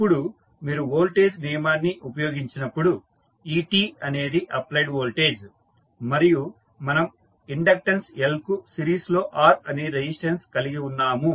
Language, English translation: Telugu, Now, when you use the voltage law so et is the applied voltage, we have resistance R in series with inductance L and the voltage across capacitance is ec and current flowing through the circuit is it